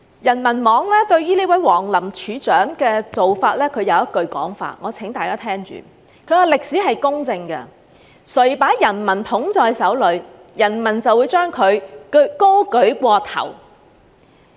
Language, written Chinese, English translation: Cantonese, 人民網對這位王林處長的做法有一句說法，我請大家聽着：歷史是公正的，誰把人民捧在手裏，人民就把誰舉過頭頂。, The Peoples Daily Online has described deputy head WANG Lins approach as follows let me read it out for Members whoever holds the people in his hands the people will hold him in high repute